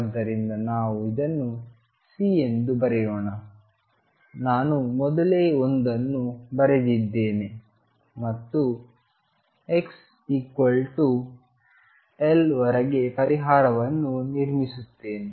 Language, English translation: Kannada, So, let us write it C, I wrote one earlier and build up the solution up to x equals L